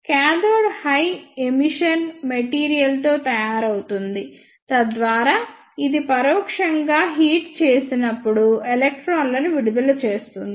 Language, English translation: Telugu, The cathode is made up of high emission material, so that it can emit electrons when it is heated indirectly